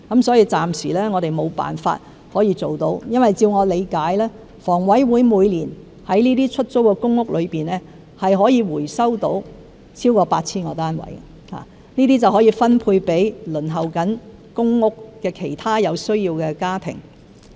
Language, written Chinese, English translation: Cantonese, 所以，暫時我們無法可以辦到，因為據我理解，香港房屋委員會每年在這些出租公屋中可以回收到超過 8,000 個單位，可以分配給正在輪候公屋的其他有需要的家庭。, Hence we cannot introduce the proposal for the time being because as I understand it more than 8 000 PRH flats recovered by the Hong Kong Housing Authority HA each year can be allocated to other needy families on the PRH Waiting List